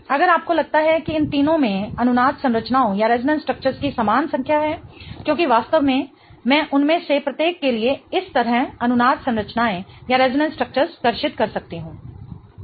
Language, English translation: Hindi, If you think all three of them have the same number of resonance structures because really I can draw resonance structures like this for each one of them